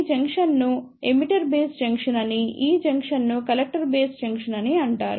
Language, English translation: Telugu, This junction is called as the Emitter Base Junction and this junction is called as the Collector Base Junction